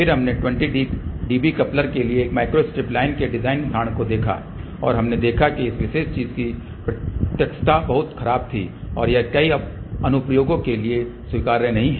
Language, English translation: Hindi, Then we looked at the design example of a microstrip line for a 20 dB coupler and we had noticed that the directivity of this particular thing was very poor and that is not acceptable for many of the applications